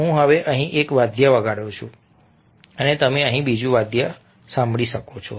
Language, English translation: Gujarati, i am playing an instrument over here now and you can hear another instrument over here now